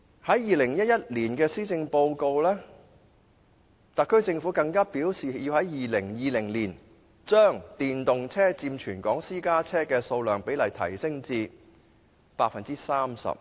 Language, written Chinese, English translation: Cantonese, 在2011年施政報告內，特區政府更表示要在2020年將電動車佔全港私家車的數量比例提升至 30%。, In the 2011 Policy Address the SAR Government indicated that it would strive to increase the proportion of electric vehicles to 30 % of the total number of registered private cars in Hong Kong by 2020